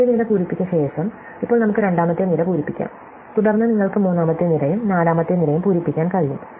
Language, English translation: Malayalam, Having filled the first column, now we can fill the second column and then you can fill the third column and the fourth column and so on